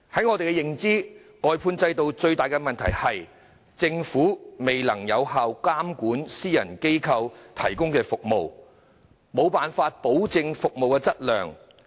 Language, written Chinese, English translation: Cantonese, 我們認為，外判制度最大的問題是政府未能有效監管私人機構提供的服務，無法保證服務質量。, In our view the biggest problem of the outsourcing system is the failure of the Government to effectively monitor the services provided by private organizations and its inability to assure the quality of service